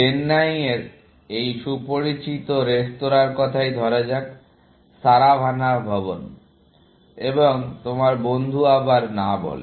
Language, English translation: Bengali, Let us say this well known restaurant in Chennai; Saravana Bhavan, and your friend